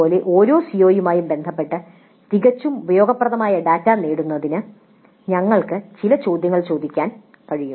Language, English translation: Malayalam, Similarly with respect to each CO we can ask certain questions to get data that is quite useful